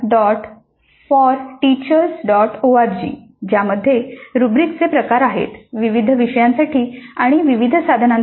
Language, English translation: Marathi, org which contains a varieties of rubrics for a variety of items for a variety of courses